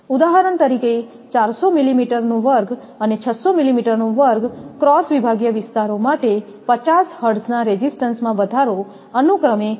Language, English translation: Gujarati, For example, for 400 millimeter square and 600 millimeter square cross sectional areas the increase in resistance at 50 hertz is about 3